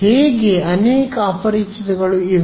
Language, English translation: Kannada, So, how many unknowns are there